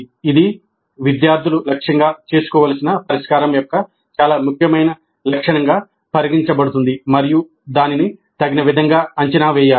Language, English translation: Telugu, That is considered as very important feature of the solution that the students must aim it and it must be assessed appropriately